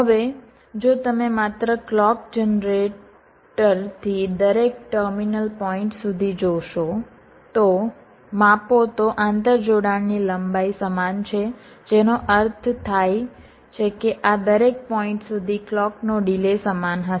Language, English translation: Gujarati, now if you just measure, if you just see from the clock generated up to each of the terminal point, the length of the interconnection is the same, which means the delay of the clocks will be identical up to each of this points